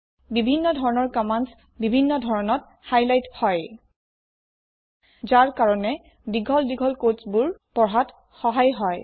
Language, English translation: Assamese, Different types of commands are highlighted differently, which makes it easier to read large blocks of code